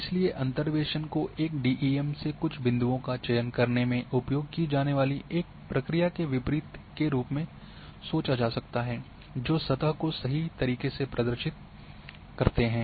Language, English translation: Hindi, So, interpolation can be thought as a reverse of the process used select few points from a DEM which accurately represent the surface